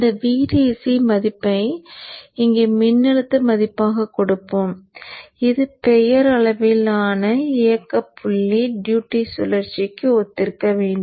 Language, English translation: Tamil, So let us set this VDC value here to a voltage value which should correspond to the nominal operating point duty cycle